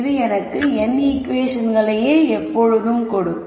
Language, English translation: Tamil, So, this will just give me n equations